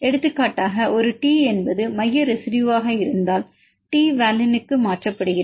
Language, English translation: Tamil, For example if a T is the central residue and T is mutated to valine